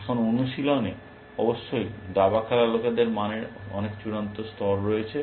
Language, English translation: Bengali, Now, in practice; of course, chess playing people have much final gradation of values